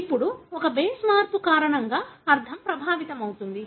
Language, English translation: Telugu, Now, because of one base change the meaning is affected